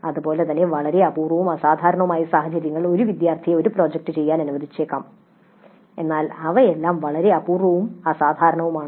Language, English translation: Malayalam, Similarly in a very rare and exceptional situations, a single student may be allowed to do a project but these are all very rare and exceptional